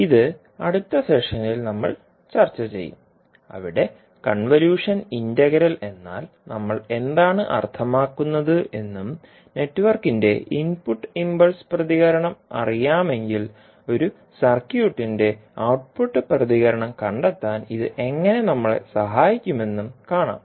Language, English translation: Malayalam, This, we will discuss in the next session where we will see what do we mean by the convolution integral and how it can help in finding out the output response of a circuit where we know the input impulse response of the network